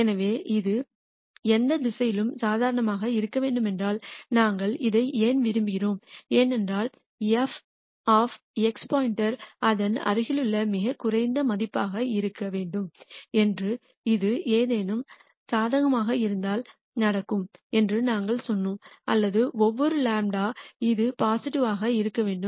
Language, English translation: Tamil, So, if you want this to be positive for any direction why do we want this we want this because we want f of x star to be the lowest value in its neighborhood and that we said will happen if this is positive for any delta or for every delta this should be positive